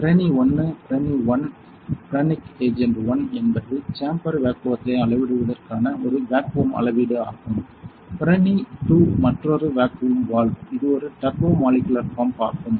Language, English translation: Tamil, This is Pirani 1, this is Pirani 1; piranic agent 1 this is a vacuum measuring this is for measuring chamber vacuum Pirani 2 this is another vacuum valve this is a turbo molecular pump